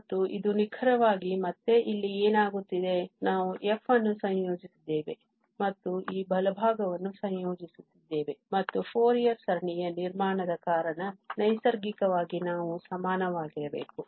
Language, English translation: Kannada, And this is precisely, again what is happening here, that we are integrating the f, and integrating this right hand side and naturally these should be equal because of the construction of the Fourier series as well